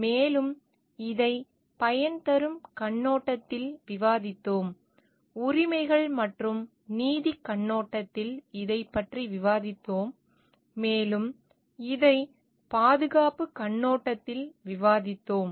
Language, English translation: Tamil, And we have discussed this from the utilitarian in perspective, we have discussed this from the rights and justice perspective, and we have discussed this from the care perspective also